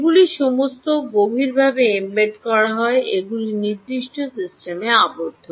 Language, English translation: Bengali, these are all deeply embedded, these are enclosed in certain systems